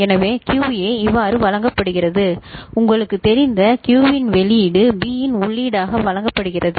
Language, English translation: Tamil, So, QA is fed as output of Q you know A, is fed as input of B right